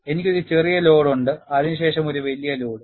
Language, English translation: Malayalam, I have a smaller load followed by a larger load